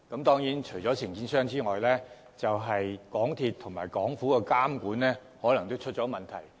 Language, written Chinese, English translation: Cantonese, 當然，除了承建商外，港鐵公司及政府的監管也可能出現問題。, The contractors are of course to blame but there may also be problems with the supervision of MTRCL and the Government